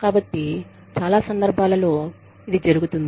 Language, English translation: Telugu, So, in many cases, this does happen